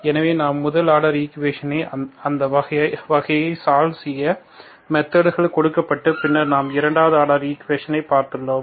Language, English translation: Tamil, So we have given methods to solve those kinds, those types of first order equations and then we looked at the second order equations